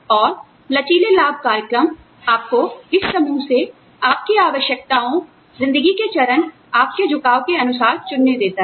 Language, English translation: Hindi, And, the flexible benefits program, lets you choose, from this pool, depending on your needs, stage in life, your inclination, whatever